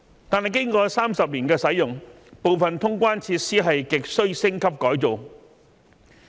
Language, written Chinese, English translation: Cantonese, 可是，經過30年的使用後，部分通關設施亟需升級改造。, Nevertheless after some 30 years of operation some of its facilities are in dire need of upgrading and revamping